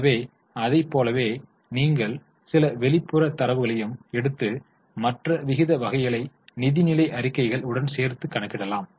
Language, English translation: Tamil, So, like that, you can also take some outside data and link it to financial statements to calculate other types of ratios